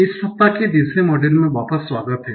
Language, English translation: Hindi, So, welcome back for the third module of this week